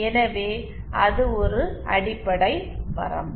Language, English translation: Tamil, So that is one fundamental limitation